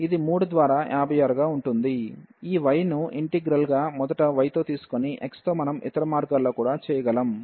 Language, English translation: Telugu, So, it will be 3 by 56, so that is the value of this double integral by taking the integral first with respect to y and then with respect to x what we can do the other way round as well